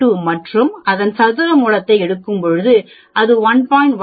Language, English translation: Tamil, 32 and then when I take square root of that, that will be 1